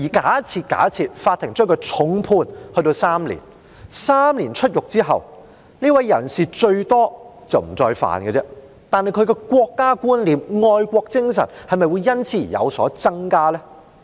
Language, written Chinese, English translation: Cantonese, 假設法庭將他重判監禁3年，出獄後，這人最多只是不再犯這罪，但他的國家觀念和愛國精神會否因此而有所增加？, Assuming the court has imposed on him a heavy prison sentence of three years and after he was released from prison he would at most refrain from committing this offence again but will his awareness of the country and patriotic sentiments be enhanced?